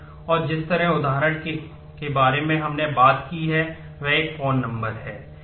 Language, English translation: Hindi, And the example we talked about is a phone number